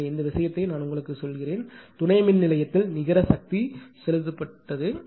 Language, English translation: Tamil, So, this thing I have told you that net power injected at the substation